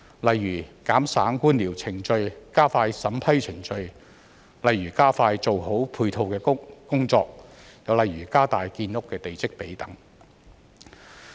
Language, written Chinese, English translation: Cantonese, 例如減省官僚程序、加快審批程序、加快做好配套的工作，或加大建屋的地積比等。, For example can it cut the red tape expedite vetting and approval procedures speed up the development of supporting facilities and increase the development plot ratio?